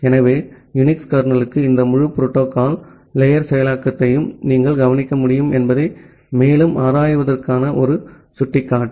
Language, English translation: Tamil, So, interestingly just a pointer for you to explore further that you can look into this entire protocol stack implementation inside a UNIX kernel